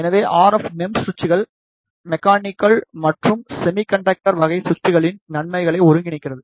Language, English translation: Tamil, So, RF MEMS switches, combines the advantage of both mechanical and the semiconductor type of switches